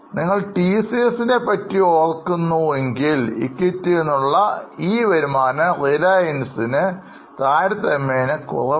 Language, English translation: Malayalam, So, if you remember TCS, this return on equity is somewhat lower for reliance